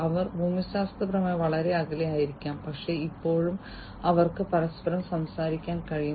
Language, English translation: Malayalam, So, they might be geographically distant apart, but still they would be able to talk to each other